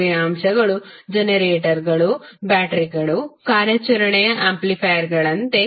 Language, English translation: Kannada, Active elements are like generators, batteries, operational amplifiers